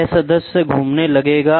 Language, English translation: Hindi, This member will start rotating